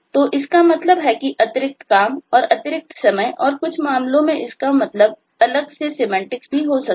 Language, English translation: Hindi, so that means additional work, that means additional time and in some cases it might mean a very different semantics